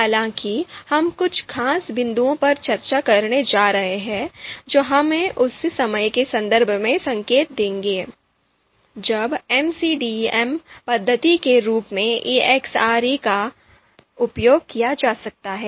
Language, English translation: Hindi, However, we are going to discuss certain points specific to ELECTRE and that will give us pointer in terms of when ELECTRE as a method MCDM method can be used